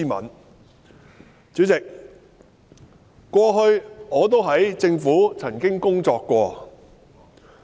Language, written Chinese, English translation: Cantonese, 代理主席，我過去曾在政府部門工作。, Deputy President I used to work in the Government